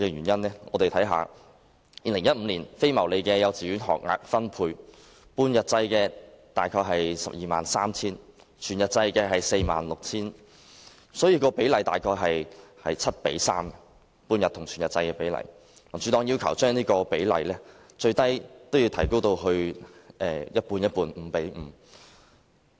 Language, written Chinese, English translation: Cantonese, 2015年非牟利幼稚園學額分配，半日制大約是 123,000， 全日制是 46,000， 半日與全日制的比例大約是 7：3， 民主黨要求將這比例最少提高至 5：5。, As regards non - profit - making kindergarten places in 2015 there were 123 000 half - day places and 46 000 full - day places and the ratio between half - day and full - day places is 7col3 . The Democratic Party has requested increasing this ratio to 5col5 at least